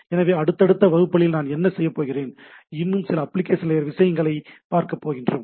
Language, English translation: Tamil, So, what we will do in the subsequent classes will see some of this more application layer things